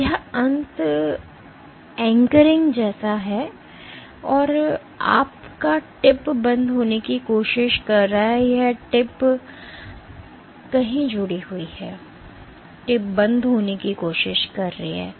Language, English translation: Hindi, So, this end is anchored and your tip is trying to come off, tip has gotten attached somewhere here and the tip is trying to come off